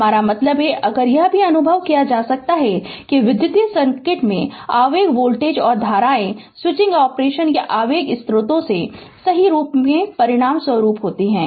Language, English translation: Hindi, I mean, if you can you might have experienced also, that impulsive voltage and currents occur in electric circuits as a result of switching operation or impulsive sources right